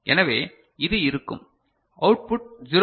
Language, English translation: Tamil, So, these output will be 0